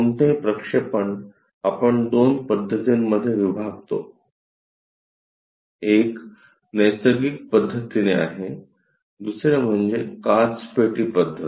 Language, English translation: Marathi, Any projection, we divide into two methods; one is by natural method, other one is glass box method